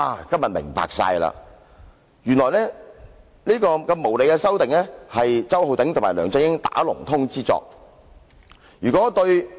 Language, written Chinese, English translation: Cantonese, 今天終於真相大白，原來這項無理修訂是周浩鼎議員與梁振英"打同通"之作。, Everything is clear today . As it turns out this unreasonable amendment was conspired by Mr Holden CHOW and LEUNG Chun - ying